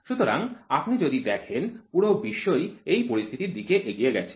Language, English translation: Bengali, So, when you look at it the entire world goes into this scenario